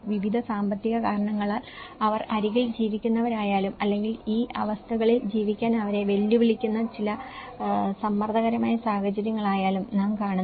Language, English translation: Malayalam, Whether, they are living on the edge for various economic reasons or there are certain pressurized situations that are challenging them, probing them to live in these conditions